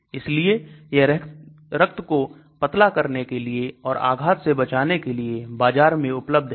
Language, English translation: Hindi, So it is in the market for treatment of blood thinning as well as for stroke